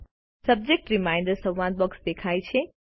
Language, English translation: Gujarati, A Subject Reminder dialog box appears